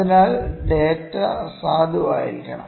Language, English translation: Malayalam, So, the data has to be valid